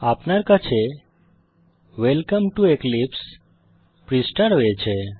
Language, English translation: Bengali, And we have the Welcome to Eclipse page